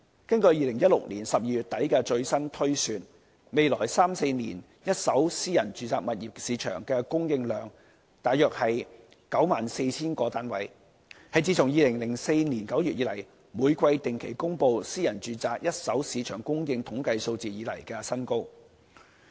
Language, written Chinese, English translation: Cantonese, 根據2016年12月底的最新推算，未來三四年一手私人住宅物業市場的供應量約為 94,000 個單位，是自2004年9月以來，每季定期公布私人住宅一手市場供應統計數字以來的新高。, According to the latest projection done in December 2016 the market supply of first hand private residential flats in the next three or four years will be 94 000 a new high since the first release of the quarterly statistics on supply in September 2004